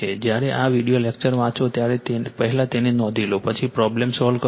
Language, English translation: Gujarati, When you read this video lecture, first you note it down right, then you solve the problem